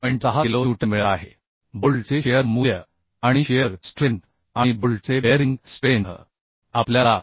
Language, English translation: Marathi, 6 kilonewton as a shearing value and shearing strength of the bolt and bearing strength of the bolt we are finding out 72